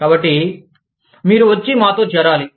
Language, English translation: Telugu, So, you need to come and join us